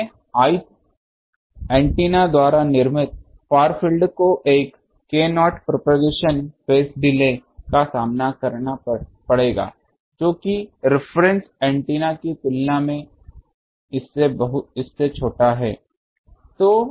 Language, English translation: Hindi, So, the far field produced by the i th antenna will suffer a propagation phase delay by an amount k not in to this smaller than that of the reference antenna